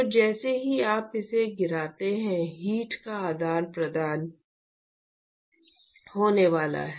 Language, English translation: Hindi, So, as soon as you drop it, there is going to be exchange of heat